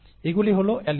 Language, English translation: Bengali, These are the alleles